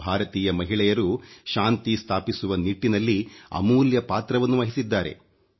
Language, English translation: Kannada, Indian women have played a leading role in peace keeping efforts